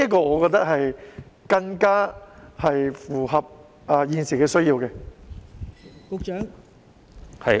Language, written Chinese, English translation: Cantonese, 我覺得這更符合現時的需要。, I think this will be more in line with the current needs